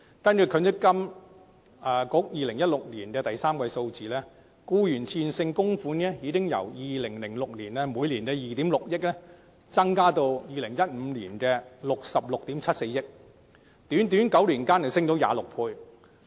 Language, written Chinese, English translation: Cantonese, 根據積金局2016年第三季的數字，僱員的自願性供款額已由2006年的2億 6,000 萬元增加至2015年的66億 7,400 萬元，在短短9年間增加了26倍。, According to the figures in the third quarter of 2016 provided by MPFA the amount of voluntary contributions by employees has increased from 260 million in 2006 to 6,674 million in 2015 representing a growth of 26 times in just nine years